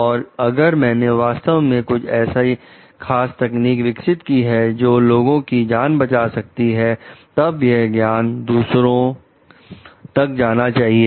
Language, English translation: Hindi, And if I have genuinely developed a particular technique, which is saving life for people, then this knowledge needs to be shared